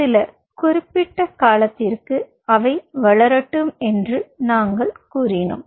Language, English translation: Tamil, we said: let them grow for some time you know significant period of time